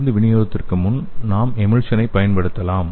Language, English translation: Tamil, And we can use the emulsion for the drug delivery